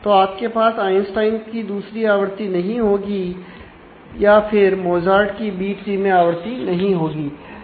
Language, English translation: Hindi, So, you do not have the second instance of the Einstein or this instance of the Mozart in the B tree